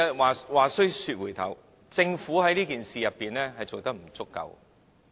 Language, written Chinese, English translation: Cantonese, 話須說回頭，政府在這件事上做得不足夠。, Coming back to this subject regarding this particular case the Government has not done enough